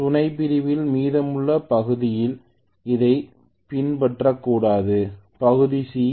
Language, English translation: Tamil, So I think rest of the sub division will follow it should not be, part C